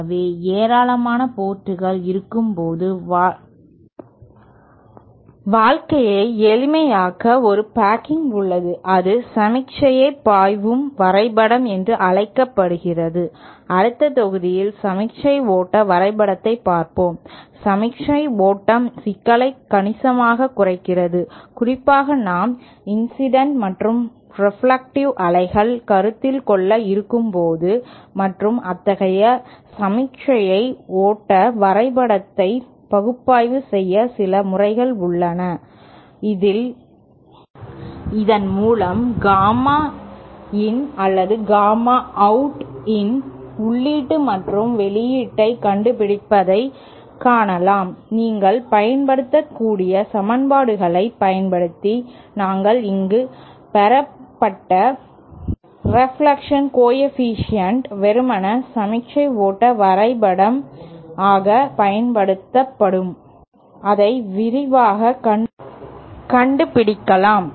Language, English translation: Tamil, So in order to make life simpler when we have a large number of ports we there is a packing called signal flow graph, and as we shall see in the next module the signal flow graph significantly reduce the complexity of the signal flow especially when we have incident and reflected waves to consider and there are some methods to analyze such signal flow graph diagrams, so that we can find out these say gamma in or gamma out the input and output reflection coefficient which we have derived here using equations you can use simply use a signal flow graph to find it much quickly so that is something we will discuss in the next module